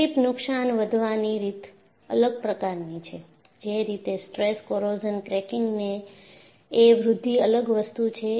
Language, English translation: Gujarati, So, the way a creep damage grows is different; the way your stress corrosion cracking growth is different